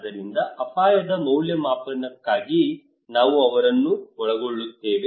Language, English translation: Kannada, So just for the risk assessment we involve them